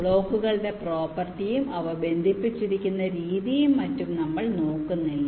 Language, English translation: Malayalam, we were not looking at the property of the blocks, the way they are connected and so on